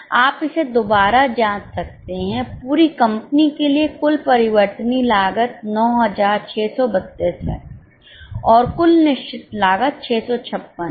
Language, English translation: Hindi, You can cross check it for the whole company the total variable cost is 9 632 and total fixed cost is 656